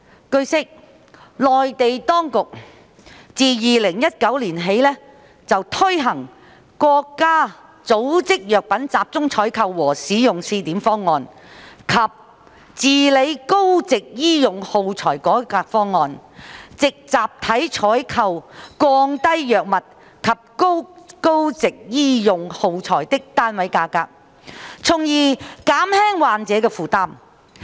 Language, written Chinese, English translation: Cantonese, 據悉，內地當局自2019年起推行《國家組織藥品集中採購和使用試點方案》及《治理高值醫用耗材改革方案》，藉集體採購降低藥物及高值醫用耗材的單位價格，從而減輕患者的負擔。, It is learnt that the Mainland authorities have implemented since 2019 the Pilot Program of the Centralized Procurement and Use of Drugs Organized by the State as well as the Reform Plan for the Control of High - value Medical Supplies with a view to lowering the unit prices of drugs and high - value medical supplies through bulk procurement thereby alleviating the burden on patients